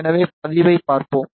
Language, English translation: Tamil, So, let us see the response yeah